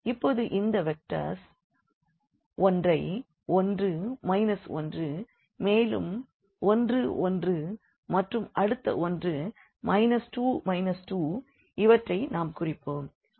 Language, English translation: Tamil, So, now if we plot these vectors the one here 1 minus 1 then we have minus 1 1 and the other one is minus 2 and minus 2